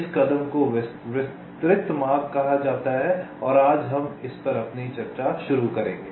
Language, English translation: Hindi, this step is called detailed routing and we shall be starting our discussion on this today